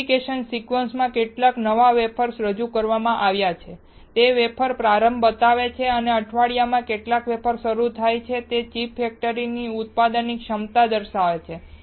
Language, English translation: Gujarati, How many new wafers are introduced into the fabrication sequence shows the wafer start and how many wafers starts per week indicates manufacturing capacity of a chip factory